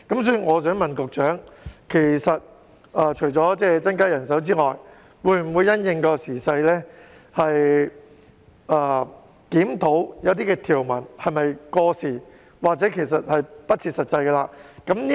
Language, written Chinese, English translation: Cantonese, 所以，我想問局長，除了增加人手之外，會否因應時勢而檢討一些條文是否過時或不切實際？, Therefore I would like to ask the Secretary whether he will in addition to increasing manpower review some outdated or impractical stipulations in response to the present situation